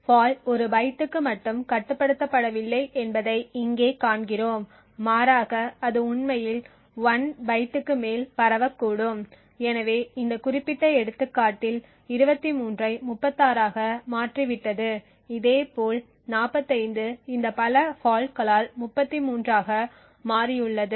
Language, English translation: Tamil, Here we see that the fault is not restricted to a single byte but rather it could actually spread to more than 1 byte so in this particular example what we see is that 23 has become 36 similarly 45 has changed to 33 due to this multiple faults